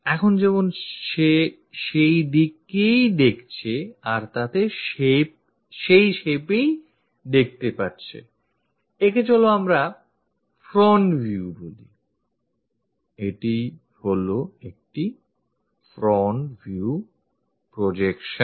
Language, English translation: Bengali, As of now, he is looking in that direction, whatever the shape he is observing that let us call front view, this one is the front view projection